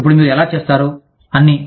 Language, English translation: Telugu, Now how do you do, all that